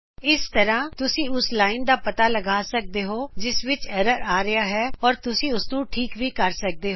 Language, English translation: Punjabi, This way you can find the line at which error has occured, and also correct it